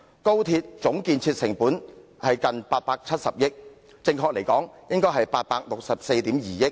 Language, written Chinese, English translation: Cantonese, 高鐵總建設成本近870億元，準確數字應為864億 2,000 萬元。, The total capital cost for the XRL project is nearly 87 billion well the exact amount should be 86.42 billion